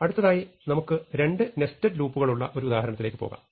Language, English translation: Malayalam, So, let us now move on to an example in which we have two nested loops